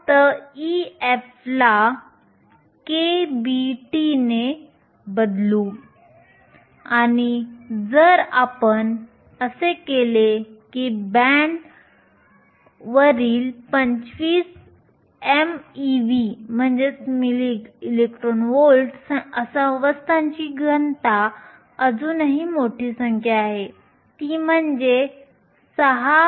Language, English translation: Marathi, except replace e f by k b t and if you do that the density of states 25 milli electron volts above the band is still a large number, 6